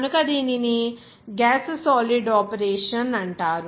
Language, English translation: Telugu, So that it is also a gas solid operation